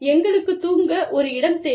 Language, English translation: Tamil, We need a place, to sleep